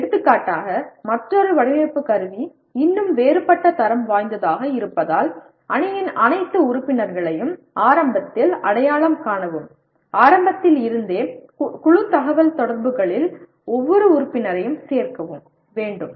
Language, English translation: Tamil, For example another design instrumentality, still of a different quality, identify all members of the team early on and include every member in the group communications from the outset